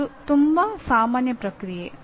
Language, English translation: Kannada, That is a very normal process